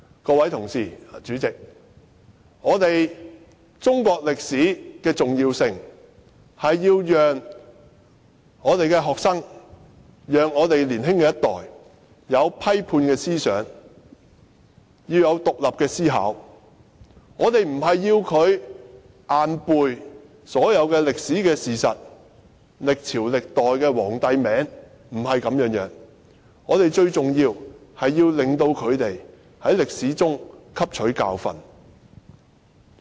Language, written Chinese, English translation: Cantonese, 各位同事，主席，中國歷史的重要性，是要讓學生及年輕一代擁有批判思想和獨立思考，而不是要求他們硬背所有歷史事實和記下歷朝歷代皇帝的名字，不是這樣的，最重要是令他們從歷史中汲取教訓。, Honourable colleagues and President Chinese history is important because it enables students and the next generation to develop critical and independent thinking but not requiring them to memorize all the historical facts or names of emperors of all dynasties that is not the point . It is vital that they should be taught to learn from history